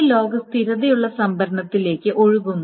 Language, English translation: Malayalam, And this log is then stored to stable storage